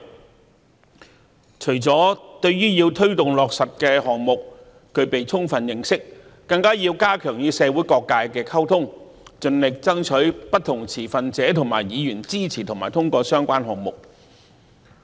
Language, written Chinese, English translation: Cantonese, 公務員除了要對推動落實的項目具備充分認識，更加要加強與社會各界的溝通，盡力爭取不同持份者和議員的支持和通過相關項目。, Apart from having a thorough understanding of the projects they are responsible to promote and launch civil servants are also required to strengthen communication with different sectors of society and strive to lobby different stakeholders and Members to support and pass the project concerned